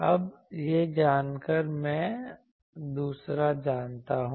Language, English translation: Hindi, Now, knowing this I know the second